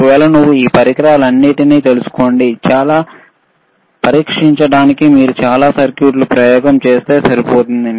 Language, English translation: Telugu, This is the, i If you know this many items or this manyall these equipments, it is enough for you to run lot of experiments to test lot of circuits, all right